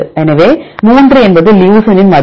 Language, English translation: Tamil, So, 3 is the value of leucine